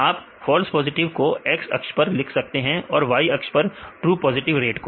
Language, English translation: Hindi, You can write the false positive to the X axis or you can versus the true positive rate in the Y axis